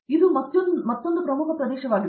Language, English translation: Kannada, So, that’s another very important area